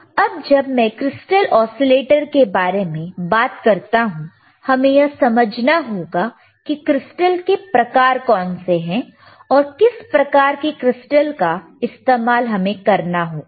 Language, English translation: Hindi, Now, when I talk about crystal oscillators, we should understand what are the crystal types are and we have to understand right, then only we can see which type we can use it